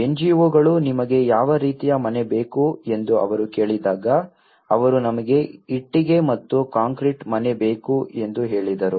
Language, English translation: Kannada, When the NGOs have started consulting what type of house do you want they said yes we want a brick and concrete house